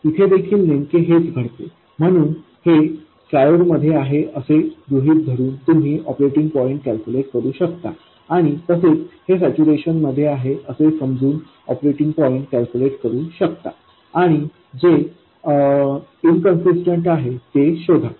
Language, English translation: Marathi, So, you can try assuming that this is in triode, calculating the operating points, and assuming that this is in saturation, calculating the operating points and see which is inconsistent